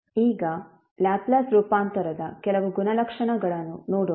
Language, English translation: Kannada, Now, let's see few of the properties of Laplace transform